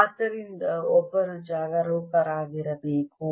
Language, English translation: Kannada, so one has to be careful